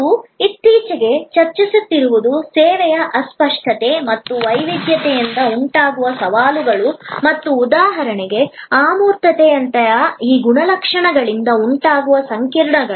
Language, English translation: Kannada, What we have been discussing lately are the challenges arising from the intangibility and heterogeneity of service and the complexities that arise from these characteristics like for example, abstractness